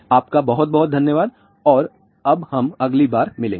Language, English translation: Hindi, Thank you very much and we will see you next time